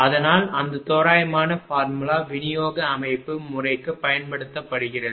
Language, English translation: Tamil, So, that is why that approximate formula is used for distribution system right